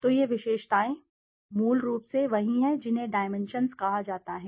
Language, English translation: Hindi, So these these attributes are basically what is called as dimensions